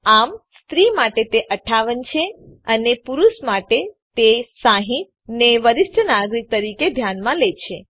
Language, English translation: Gujarati, So for female it is 58 and for men it is 60 to be considered as senior citizens